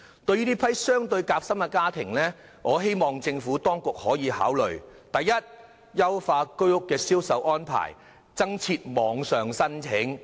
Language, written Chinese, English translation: Cantonese, 對於這批較為夾心的家庭，我希望政府當局可以考慮以下建議：第一，優化居屋的銷售安排，增設網上申請。, To assist these sandwiched households I hope the Administration can consider the following proposals First to improve the sale arrangement for HOS flats and accept online applications